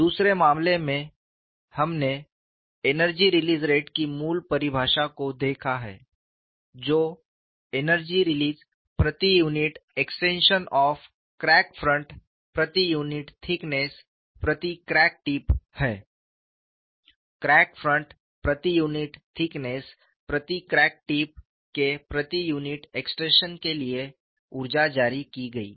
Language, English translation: Hindi, In the second case, we have looked at the basic definition of energy release rate, as the energy released per unit extension of a crack front per unit thickness per crack tip